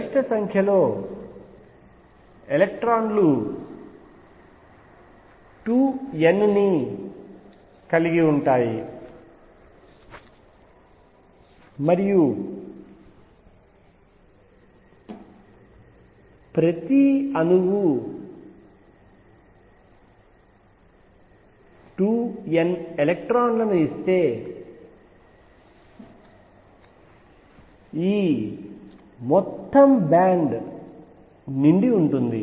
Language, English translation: Telugu, The maximum number of electrons can accommodate 2 n and if each atom gives 2 n electrons, this whole band would be filled